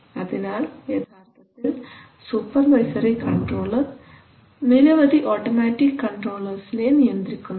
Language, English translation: Malayalam, So a supervisory control actually manages a number of automatic controllers right